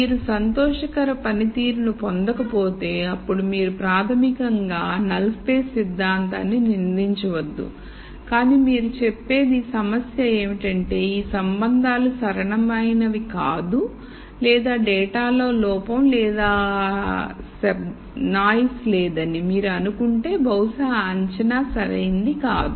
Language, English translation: Telugu, Now if you are not getting a performance that you are happy with then you basically do not blame the null space concept, but you say maybe the problem is that these relationships are not linear or if you assume that there is no error or noise in the data maybe that assumption is not valid